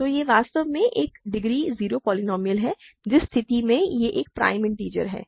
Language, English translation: Hindi, So, it is actually a degree 0 polynomial in which case it is a prime integer